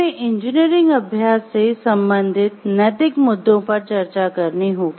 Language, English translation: Hindi, So, when we are have to discuss about the ethical issues related to engineering practice